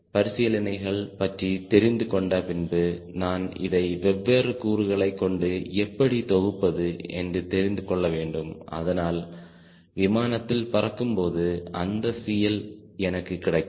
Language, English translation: Tamil, once i know the considerations, i should know that how i synthesize this through different components so that really a in flight i get that c